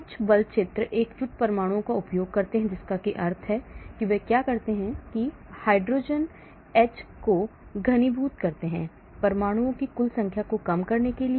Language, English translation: Hindi, Some force field use united atoms that mean what do they do is, they condense hydrogen H with the heavy atoms to reduce the total number of atoms